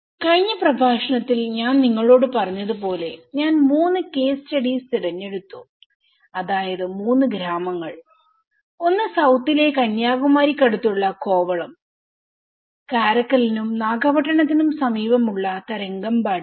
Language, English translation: Malayalam, As I said to you in the last lecture, I have selected three case studies which is three villages one is a Kovalam in the South near Kanyakumari, the Tharangambadi which is near Karaikal and Nagapattinam